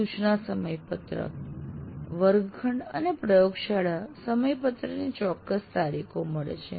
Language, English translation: Gujarati, And then you have instruction schedule, classroom and laboratory schedules giving specific dates now